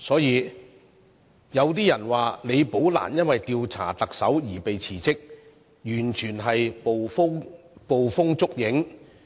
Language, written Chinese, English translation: Cantonese, 因此，李寶蘭是因為調查特首而"被辭職"的說法，完全是捕風捉影。, Therefore it would be a totally groundless accusation for anyone to suggest that Rebecca LI was forced to resign since an investigation was being conducted on the Chief Executive